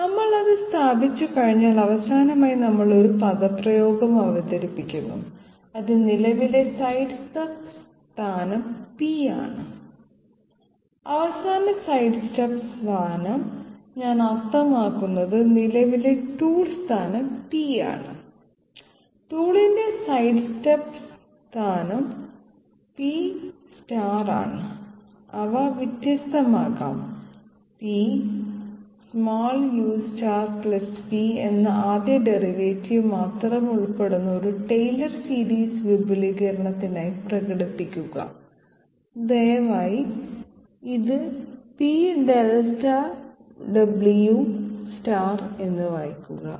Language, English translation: Malayalam, Once we establish that, last of all we introduce one expression that is the sidestep the current sidestep position being P and the final sidestep position I mean the current tool position being P, the sidestep position of the tool being P star, their different can be expressed as a tailor series expansion involving only the first derivative as P u dot Delta u star + P please read this as P w + Delta w star